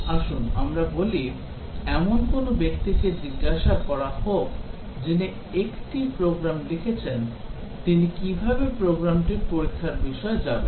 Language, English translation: Bengali, Let us say, let us ask a person who has written a program that how will he go about testing the program